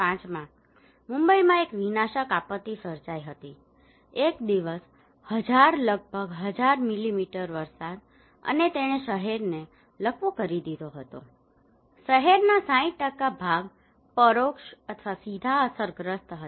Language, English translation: Gujarati, In 2005 there was a catastrophic disaster in Mumbai, one day 1000 almost 1000 millimetre of rainfall and it paralyzed the city, 60% of the city were indirectly or directly affected okay